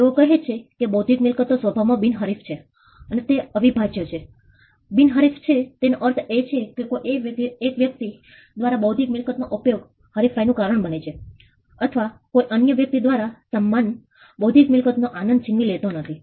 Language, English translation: Gujarati, They say intellectual property by it is nature is non rivalrous and it is non excludable, non rivalrous means the use of intellectual property by 1 person does not cause rivalry or does not take away the enjoyment of the same intellectual property by another person